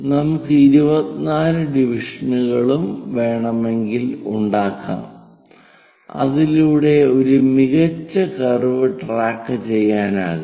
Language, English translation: Malayalam, So, we make 12 divisions, we can have 24 divisions and so on so that a better curve can be tracked